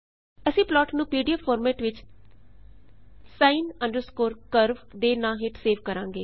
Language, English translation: Punjabi, We will save the file by the name sin curve in pdf format